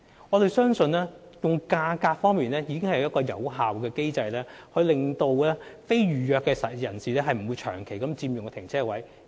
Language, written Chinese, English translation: Cantonese, 我們相信，價格已是有效的機制，令非預約泊車位的使用者不會長期佔用泊車位。, We believe that pricing is an effective mechanism for preventing users of non - reserved parking spaces from occupying such parking spaces for prolonged periods